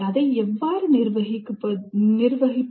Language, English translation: Tamil, How exactly to manage that